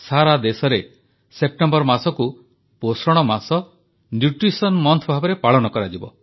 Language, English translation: Odia, The month of September will be observed as Nutrition Month in the entire nation